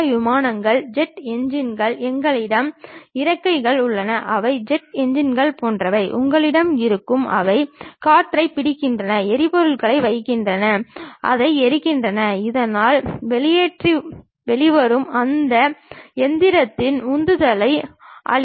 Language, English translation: Tamil, The aeroplanes, the jet engines what you have on the wings, you will have something like jet engines which grab air put a fuel, burn it, so that exhaust will come out and that can supply the thrust of that engine